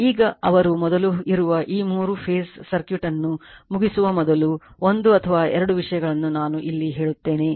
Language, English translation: Kannada, Now, before they before you are, closing this three phase circuit one or two things I will tell you I will here itself I am telling you